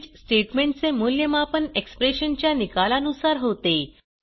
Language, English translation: Marathi, Switch statement is evaluated according to the result of the expression